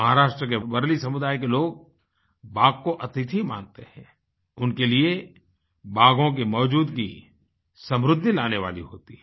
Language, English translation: Hindi, People of Warli Community in Maharashtra consider tigers as their guests and for them the presence of tigers is a good omen indicating prosperity